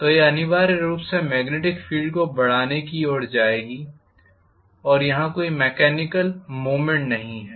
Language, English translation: Hindi, So this will essentially go towards increasing the magnetic field energy, if there is no mechanical movement imparted